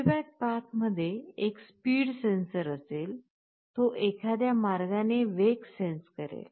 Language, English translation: Marathi, There will be a speed sensor in the feedback path, it will be sensing the speed in some way